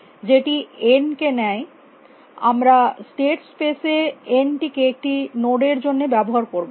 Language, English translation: Bengali, Which takes, n we will use for a node in the state space